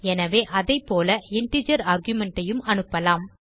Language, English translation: Tamil, So here we can pass an integer arguments as well